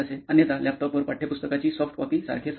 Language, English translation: Marathi, Otherwise, like on the laptop like soft copy of the textbook